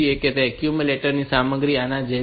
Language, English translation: Gujarati, So, the accumulator content is like this